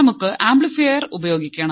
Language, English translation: Malayalam, We have used an operational amplifier